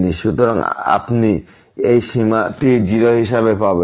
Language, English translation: Bengali, So, you will get this limit as 0